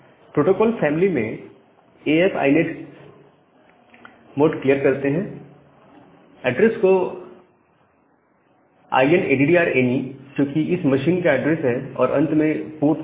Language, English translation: Hindi, So, we declare it as the protocol family as AF INET the address as inaddr any with a address of this machine and then the port number